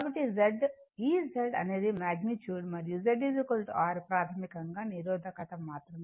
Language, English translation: Telugu, So, that is why Z is equal to this Z is the magnitude and Z is equal to basically R only resistance